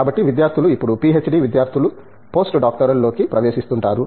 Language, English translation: Telugu, So, the very common place the students, now PhD students get into is Postdoctoral position